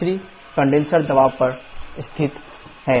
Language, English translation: Hindi, S3 is located on the condenser pressure